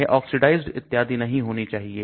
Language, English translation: Hindi, It should not get oxidized and so on